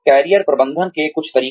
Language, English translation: Hindi, Some methods of Career Management